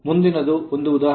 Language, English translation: Kannada, Next is an example